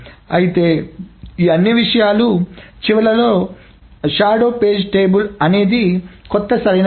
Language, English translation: Telugu, However, at the end of all of these things, the shadow page table is the new, is the new correct thing